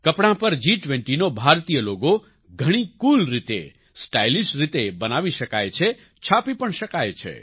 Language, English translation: Gujarati, The Indian logo of G20 can be made, can be printed, in a very cool way, in a stylish way, on clothes